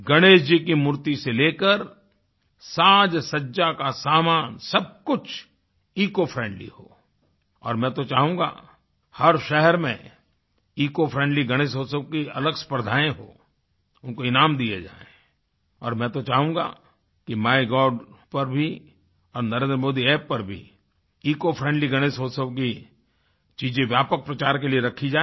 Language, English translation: Hindi, Right from Ganesh idol to all decorative material everything ought to be eco friendly and I will appreciate that separate competitions be organized in each city, prizes be awarded for these; and I will like that eco friendly items related to Ganesh Utsav are displayed for wider publicity on My Gov and Narendra Modi App